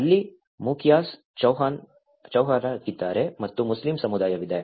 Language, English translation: Kannada, There is a mukhiyas, there is chauhans and there is a Muslim community